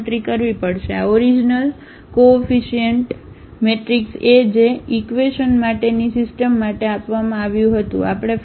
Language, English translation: Gujarati, We have to compute the; this original coefficient matrix A which was given for the system of equations